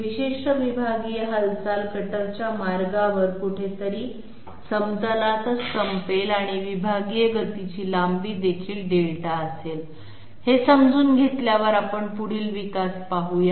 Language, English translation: Marathi, That this particular segmental movement will end up somewhere on the plane itself along the cutter path and this segmental motion will also have a length of Delta, having understood this let us see the next development